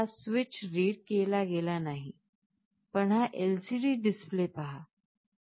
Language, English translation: Marathi, So, this switch is not read, but you look at this LCD display here